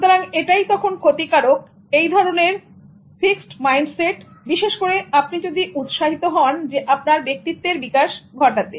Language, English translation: Bengali, So it's harmful to have that kind of fixed mindset, especially if you are interested in developing and enhancing your personality